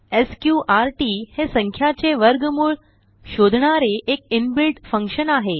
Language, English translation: Marathi, sqrt is an inbuilt function to find square root of a number